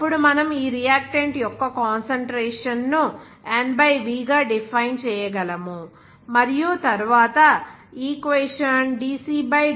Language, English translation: Telugu, Then we can define this concentration of this reactant as N/v and then the equation can be represented as dc /dt will be equal to r